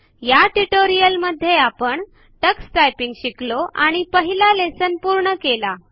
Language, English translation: Marathi, In this tutorial we learnt about the Tux Typing interface and completed our first typing lesson